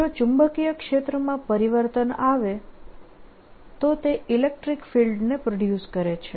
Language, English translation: Gujarati, if there is a change, a magnetic field, it produces fiels, electric fiels